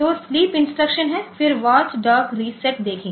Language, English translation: Hindi, So, sleep instruction is there then watch dog reset